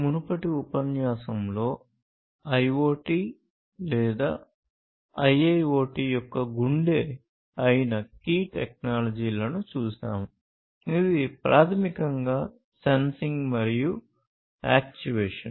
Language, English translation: Telugu, So, in the previous lecture, we have seen the key technologies, which are heart of, which are the hearts of the IoT or IIoT, which is basically sensing and actuation